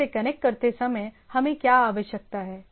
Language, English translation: Hindi, So, so, while connecting from the source, what we require